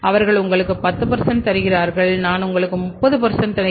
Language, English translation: Tamil, They are giving you 10% I will give you 30